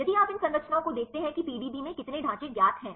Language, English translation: Hindi, If you look into these structures how many structures are known in the PDB